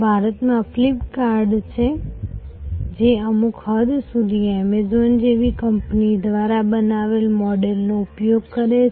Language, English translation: Gujarati, Flip kart in India, which is to an extent using the model created by companies like Amazon